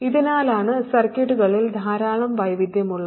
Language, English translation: Malayalam, So this is why there is a huge variety in circuits